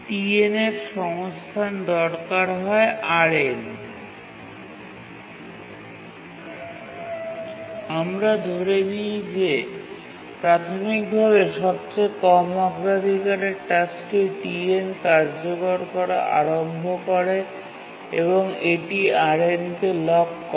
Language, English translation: Bengali, Now let's assume that initially the task TN which is the lowest priority starts executing and it locks RN